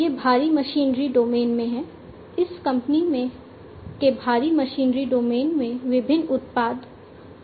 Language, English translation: Hindi, This is in the heavy machinery domain; this company has different products in the heavy machinery domain